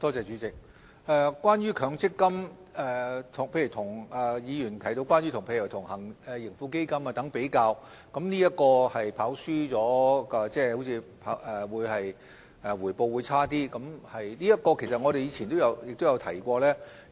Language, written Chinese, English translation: Cantonese, 主席，關於強積金，議員提到與盈富基金作比較，說是強積金"跑輸"了，即回報較差。就此方面，其實我們以前也有提過。, President the Honourable Member has compared MPF with the Tracker Fund saying that the former has performed worse than the latter yielding poorer returns in other words